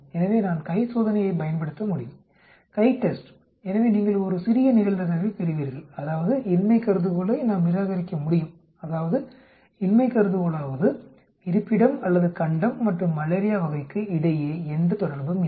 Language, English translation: Tamil, So I can use chi test, CHITEST comma so you get a very small probability which means that, we can reject the null hypothesis, which means that null hypothesis there is no relationship between the location or continent and the type of malaria